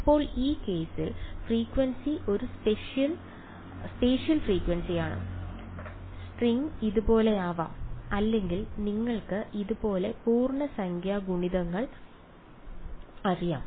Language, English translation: Malayalam, Now in this case frequency is a spatial frequency right, the string can be like this, it can be like this or you know integer multiples like this right